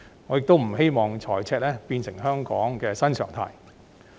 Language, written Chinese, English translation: Cantonese, 我亦不希望財政赤字會變成香港的新常態。, Also I do not want fiscal deficit to become Hong Kongs new normal